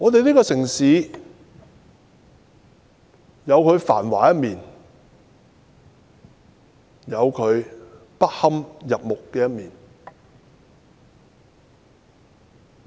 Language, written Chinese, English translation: Cantonese, 這城市有繁華的一面，亦有不堪入目的一面。, In this prosperous city there is also a flip side which is unbearable to see